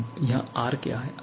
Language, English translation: Hindi, Now, what is R here